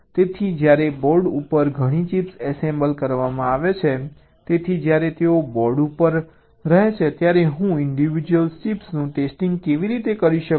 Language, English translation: Gujarati, so when several chips are assembled on a board, so how do i test the individual chips, why they are designing on the board